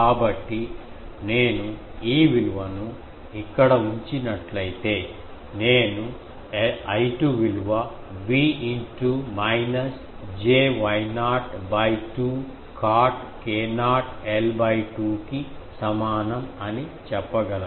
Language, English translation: Telugu, So, if I put this value here, so I will get I 2 is equal to V into minus j Y not by 2 cot k not l by 2, please check